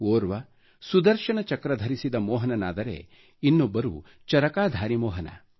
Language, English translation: Kannada, One is the Sudarshan Chakra bearing Mohan and the other is the Charkha bearing Mohan